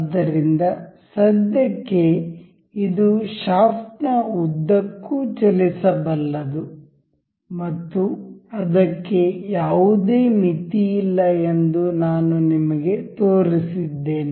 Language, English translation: Kannada, So, for now as I have shown you that this is movable to along the shaft and it does not have any limit